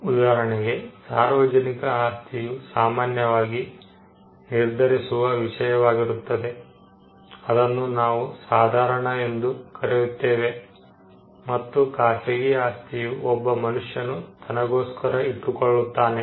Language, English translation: Kannada, For instance, public property is something which is held in common, what we call the commons and private property is something which a person holds for himself individually